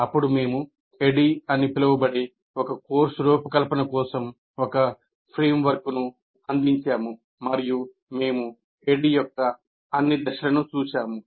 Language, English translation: Telugu, And then we provided a framework for designing a course which is called, which was called ADD